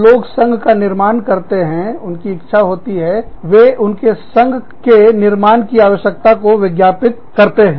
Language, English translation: Hindi, When people form unions, they want they first advertise, their need to form a union